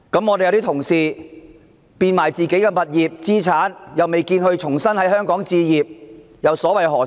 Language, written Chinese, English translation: Cantonese, 我們有些同事變賣自己的物業、資產，卻未見他們在香港重新置業，又所為何事？, Why are some of our Honourable colleagues selling their properties and assets while appearing not in a rush to re - enter the property market of Hong Kong?